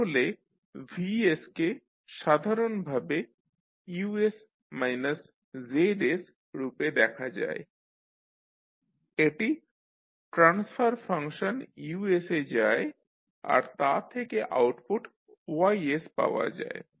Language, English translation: Bengali, So Vs you can simply see as Us minus Zs and this goes into the transfer function Gs and you get the output as Ys